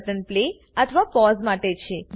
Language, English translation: Gujarati, The first button is to Play or Pause